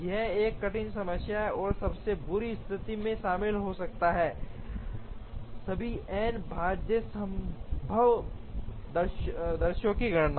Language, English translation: Hindi, It is a difficult problem, and may in the worst case involve computation of all the n factorial possible sequences